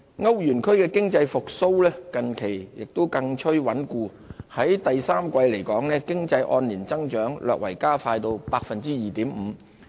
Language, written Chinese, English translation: Cantonese, 歐元區的經濟復蘇近期更趨穩固，第三季經濟按年增長略為加快至 2.5%。, Economic recovery in the euro area has become more entrenched recently . With a faster year - on - year economic growth the growth rate hit 2.5 % in the third quarter